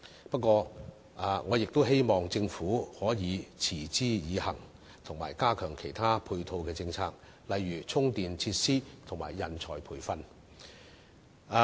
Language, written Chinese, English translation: Cantonese, 不過，我亦希望政府可以持之以恆，並加強其他配套政策，例如充電設施和人才培訓。, However I also hope that the Government can be consistent with these measures and strengthen other supporting policies as well such as charging facilities and talent training